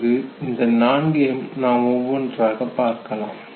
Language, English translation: Tamil, So we will talk about all four of them one by one